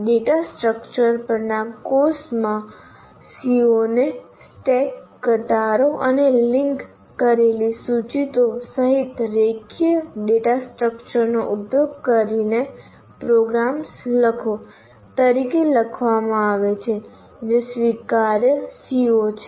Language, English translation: Gujarati, In the course on data structures, one CBO is written as write programs using linear data structures including stack, use, and link list, which is an acceptable CO